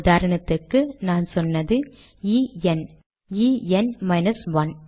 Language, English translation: Tamil, For example here I have said E N, E N minus 1